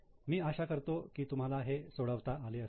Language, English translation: Marathi, I hope you are able to solve it